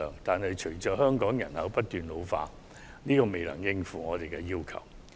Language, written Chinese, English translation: Cantonese, 但是，隨着香港人口不斷老化，這仍未能應付我們的需求。, However with an ageing population in Hong Kong these are still not adequate to meet our demand